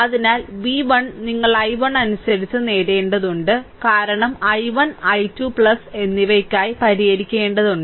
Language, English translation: Malayalam, So, v 1 you have to obtain in terms of i 1, because we have to solve for i 1 and i 2 plus right